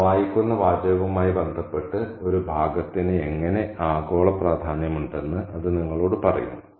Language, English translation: Malayalam, And that will tell you how a passage can have global significance in connection with the text that one is reading